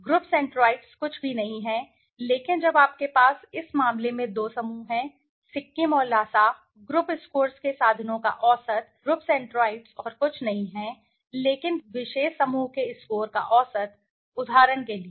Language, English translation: Hindi, The group centroids are nothing but when you have two groups in this case Sikkim and Lhasa the average of the means of the group scores, the group centroids is nothing but the average of the scores of the particular group, for example